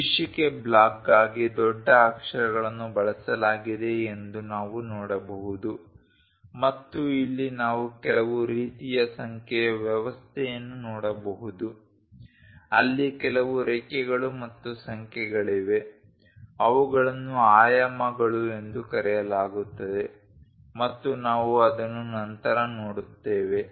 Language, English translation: Kannada, We can see that capital letters have been used for the title block and here we can see some kind of numbering kind of system, there are lines and some numbers these are called dimensions and we will see it later